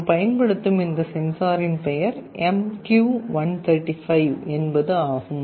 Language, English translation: Tamil, And the name of this sensor is MQ135 that we shall be using